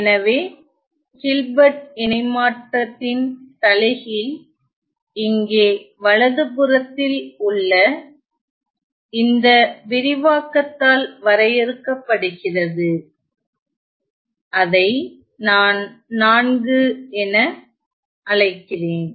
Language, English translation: Tamil, So, the inverse of the Hilbert transform is defined here by this expression on the right hand side which I call it 4